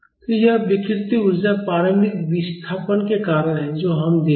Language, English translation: Hindi, So, this strain energy is because of the initial displacement which we give